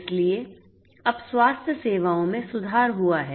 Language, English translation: Hindi, So, health care now a days have improved